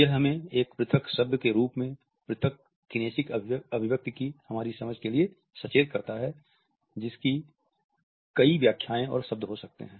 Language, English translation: Hindi, It alerts us to our understanding of an isolated kinesic expression as an isolated word which can have multiple interpretations and words